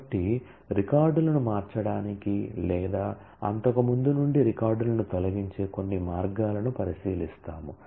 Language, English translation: Telugu, So, we will look into some of the ways of changing the records or removing records from that earlier